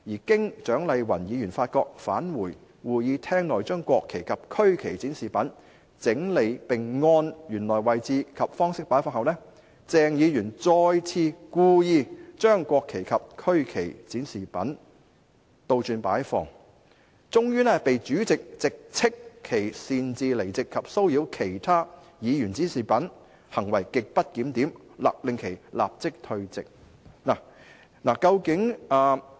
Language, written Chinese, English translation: Cantonese, 經蔣麗芸議員發覺，返回會議廳內將國旗及區旗展示品整理並按原來位置及方式擺放後，鄭議員再次故意將國旗及區旗展示品倒轉擺放，終被主席直斥其擅自離席及騷擾其他議員展示物品，行為極不檢點，勒令其立即退席"。, After Dr Hon CHIANG Lai - wan found out what happened and returned to the Chamber to rearrange the mock - ups of the national flags and the regional flags and place them in the same position and manner as before Dr CHENG again deliberately inverted the mock - ups of the national flags and the regional flags . Eventually the President reprimanded him for leaving his seat at will and disturbing other Members displaying objects and ordered him to withdraw immediately from the Council as his conduct was grossly disorderly